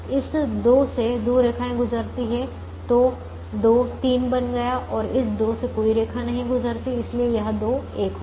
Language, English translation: Hindi, this two has two lines passing, so two became three and this two does not have any line passing